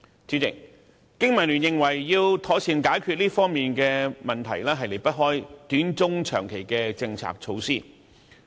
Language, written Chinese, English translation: Cantonese, 主席，香港經濟民生聯盟認為要妥善解決這方面的問題，方法離不開短、中、長期的政策措施。, President the Business and Professionals Alliance for Hong Kong BPA deems that problems in this regard cannot be properly solved without short - term medium - term and long - term policies and measures